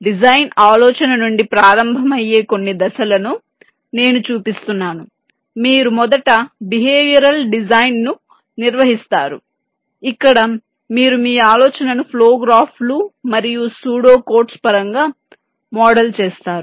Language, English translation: Telugu, i am showing some steps which, starting from a design idea, you first carry out behavioral design, where you model your idea in terms of flow graphs and pseudo codes